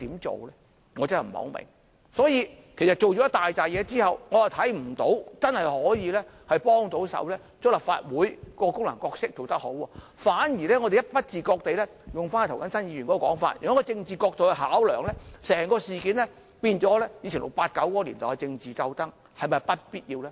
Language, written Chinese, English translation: Cantonese, 做了這許多工夫之後，我看不到真的可以令立法會把自己的功能和角色發揮得更好，反而不自覺地——引用涂謹申議員的說法——從政治角度考量，令整件事變成以往 "689" 年代的政治鬥爭，這是否必要呢？, After making all these efforts I cannot see how the amendment exercise can genuinely enable the Legislative Council to give better play to its functions and roles . On the contrary we have unwittingly―in Mr James TOs words―making consideration from the political angle turned the whole matter into a political struggle like the past during the times of 689 . Is this necessary?